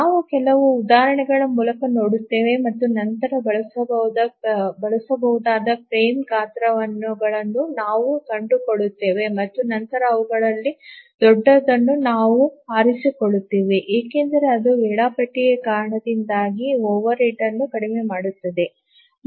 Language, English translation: Kannada, We will see through some examples and then we find the frame sizes which can be used and then we choose the largest of those because that will minimize the overhead due to the scheduler